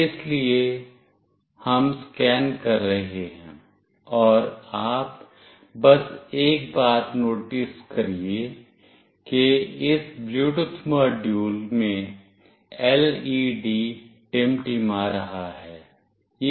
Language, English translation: Hindi, So, we are scanning, and you just notice one thing that the LED is blinking in this Bluetooth module